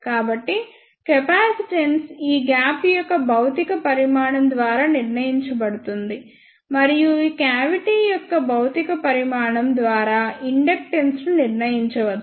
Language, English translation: Telugu, So, the capacitance can be determined by the physical dimension of this gap, and the inductance can be determined by the physical dimension of this cavity